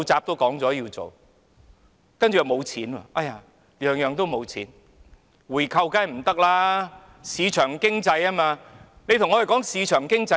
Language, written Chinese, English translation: Cantonese, 回購當然不可行，因為香港奉行市場經濟，但說甚麼市場經濟呢？, A buyback is certainly not a feasible option given that Hong Kong practices market economy . But what is the point of talking about market economy?